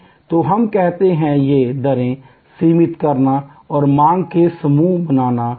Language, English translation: Hindi, So, we call this rate fencing and creating buckets of demand